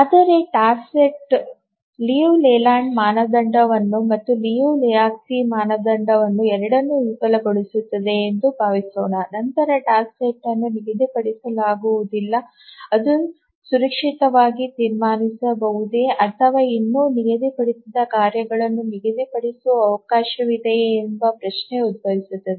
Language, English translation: Kannada, But just asking this question that suppose a task set fails the Liu Leyland's criterion and also the Liu and Lehochki's criterion, then can we safely conclude that the task set is unschedulable or is there a chance that the task set is still schedulable